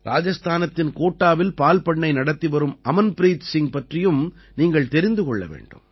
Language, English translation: Tamil, You must also know about Amanpreet Singh, who is running a dairy farm in Kota, Rajasthan